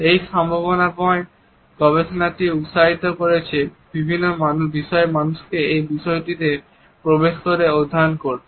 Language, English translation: Bengali, The potential of this research has encouraged people from various fields to enter this area and to study it in diverse fields